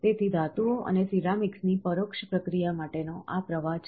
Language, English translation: Gujarati, So, this is the flow for indirect processing of metals and ceramics